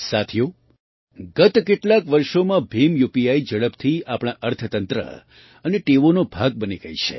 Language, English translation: Gujarati, Friends, in the last few years, BHIM UPI has rapidly become a part of our economy and habits